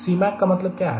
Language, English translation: Hindi, and what is the meaning of c